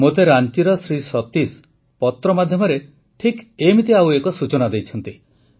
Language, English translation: Odia, Satish ji of Ranchi has shared another similar information to me through a letter